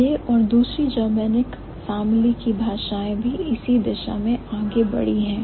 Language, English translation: Hindi, So, these and also other languages in the Germanic family have also moved in the same direction